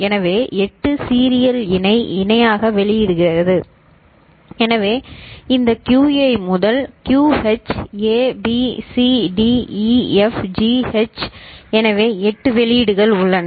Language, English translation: Tamil, So, 8 serial in parallel out so this QA to QH, A, B, C, D, E, F, G, H so 8 outputs are there